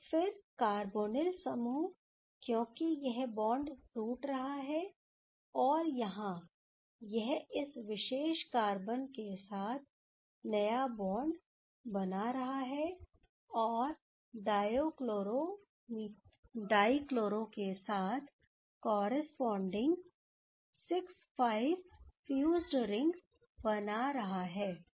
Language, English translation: Hindi, So, then the carbonyl group, because this bond is breaking right and here that is making the new bond with these particular carbon, and giving the corresponding 6 5 fused ring with dichloro ok